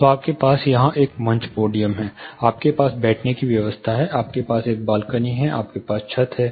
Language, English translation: Hindi, So, you have a stage podium here, you have the sitting arrangement, you have a balcony, then you have your ceiling somewhere